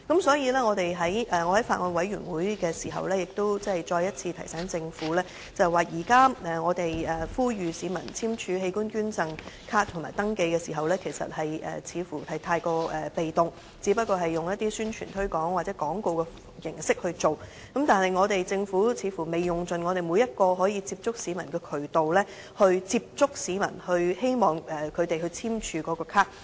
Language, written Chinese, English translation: Cantonese, 所以，我在法案委員會再次提醒政府，現在我們呼籲市民簽署器官捐贈卡和登記的時候，似乎太過被動，只是用一些宣傳推廣或廣告形式來做，政府似乎未用盡每一個接觸市民的渠道來接觸市民，希望他們簽署器官捐贈卡。, Thus I brought to the attention of the Government at the Bills Committee that it is too passive to rely on promotional activities or advertisements alone to promote organ donation cards or organ donation registration . The Government apparently has not made use of every opportunity to get in touch with people for signing organ donation cards